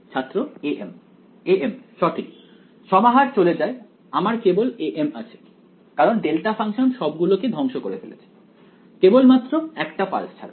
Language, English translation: Bengali, a m right the summation goes away I am left with a m because, the delta function annihilates all, but 1 pulse